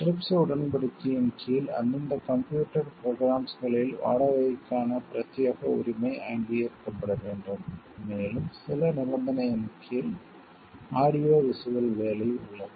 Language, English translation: Tamil, Under the trips agreement an exclusive right of rental must be recognized in respective computer programs, and under certain conditions audio visual work